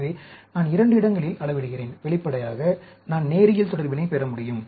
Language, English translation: Tamil, So, I am measuring at two places; obviously, I can get linear relationship